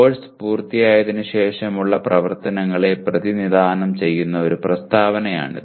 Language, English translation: Malayalam, This is a statement that represents activities after the course is finished